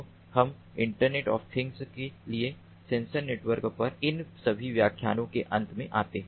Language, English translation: Hindi, so we come to an end of all these lectures on sensor networks for internet of things